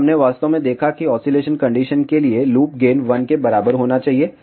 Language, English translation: Hindi, So, we actually saw that loop gain should be equal to 1 for oscillation condition